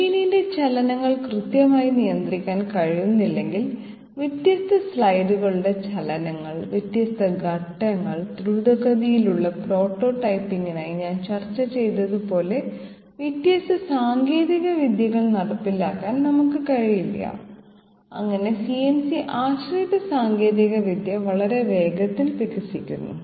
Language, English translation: Malayalam, Unless the movements of the machine can be precisely controlled I mean the difference slides movements, different stages, we cannot have the implementation of different technology as I discussed for example rapid prototyping and that way CNC dependent technology is developing very fast